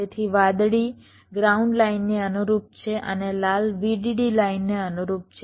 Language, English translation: Gujarati, so the blue one correspond to the ground line and the red one correspond to the vdd line